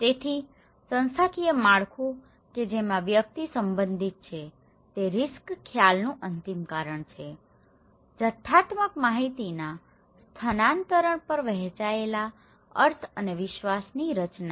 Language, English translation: Gujarati, So, institutional structure of at which the individual belong is the ultimate cause of risk perception so, creation of shared meaning and trust over the transfer of quantitative information